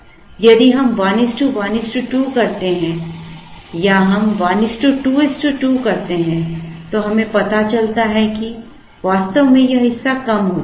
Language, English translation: Hindi, Now, if we do 1 is to 1 is to 2 or if we do 1 is to 2 is to 2, then we realize that actually this part will come down